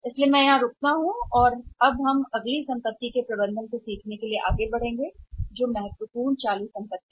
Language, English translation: Hindi, So I stop here and then now I will move forward with the next asset or the same learning about the management of the next important current assets